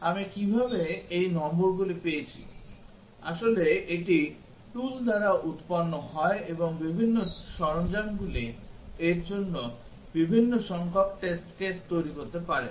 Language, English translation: Bengali, How did I get these numbers actually this is generated by the tool and different tools might generate different number of test cases for this